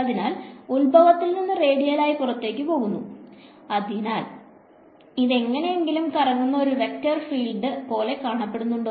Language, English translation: Malayalam, So, from the origin going radially outwards; so, does this look like a vector field that is swirling in anyway